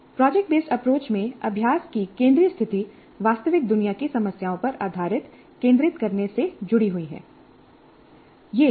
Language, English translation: Hindi, The central position of practice in the project based approach is linked to doing based on centered around real world problems